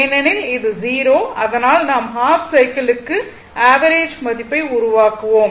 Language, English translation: Tamil, Because and this is 0 and we will make the average value over a half cycle